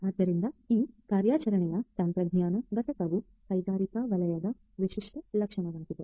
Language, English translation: Kannada, So, this operational technology component comes characteristic of industrial sector